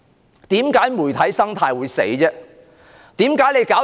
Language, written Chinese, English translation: Cantonese, 為甚麼媒體生態會死亡？, Why does the ecology of the media die?